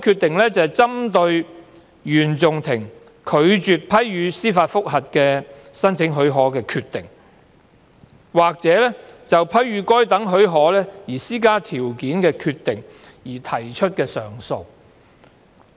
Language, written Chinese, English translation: Cantonese, 另外，是針對原訟法庭拒絕批予申請司法覆核的許可的決定，或就批予該等許可施加條件的決定而提出的上訴。, The other type of case involves appeals against the decisions of the Court of First Instance to refuse to grant leave to apply for judicial review or to grant such leave on terms